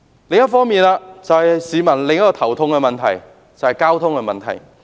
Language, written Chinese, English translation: Cantonese, 另一個令市民頭痛的就是交通問題。, Transportation is another issue vexing the public